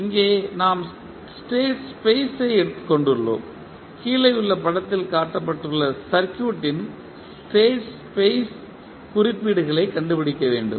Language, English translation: Tamil, Here we have state space, we need to find the state space representations of the circuit which is shown in the figure below